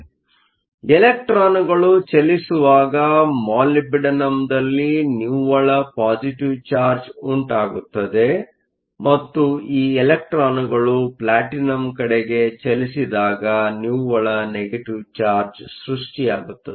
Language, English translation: Kannada, So, when electrons move a net positive charge is created on the Molybdenum side and when these electrons move to Platinum and net negative charge is created